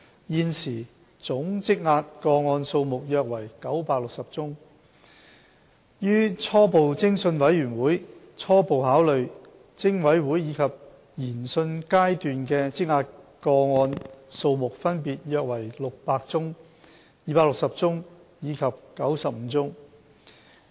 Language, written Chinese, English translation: Cantonese, 現時總積壓個案數目約為960宗，於初步偵訊委員會初步考慮、偵委會及研訊階段的積壓個案數目分別約為600宗、260宗及95宗。, Currently there is a backlog of about 960 cases of which about 600 cases are at the pre - preliminary investigation stage 260 at the Preliminary Investigation Committee PIC stage and 95 at the inquiry stage